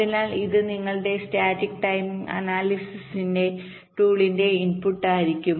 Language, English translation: Malayalam, so this will be the input of your static timing analysis tool